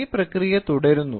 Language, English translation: Malayalam, So, it keeps on continuing